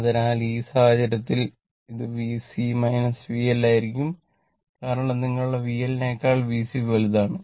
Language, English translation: Malayalam, So, in this case it will be V C minus V L, because V C greater than your V L